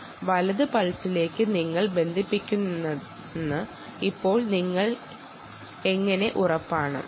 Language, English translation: Malayalam, now, how are you sure you are actually latching on to the right pulse